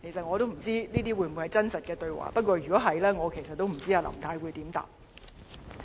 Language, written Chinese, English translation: Cantonese, 我不知道這些會否是真實對話，不過如果是，我也不知道林太可以如何回答。, I am not sure if these are real conversations but if they are I wonder how Mrs LAM can possibly give a reply